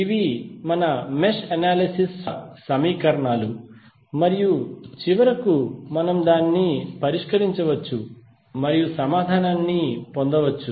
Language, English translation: Telugu, These are the equations which are the outcome of our mesh analysis and then we can finally solve it and get the answer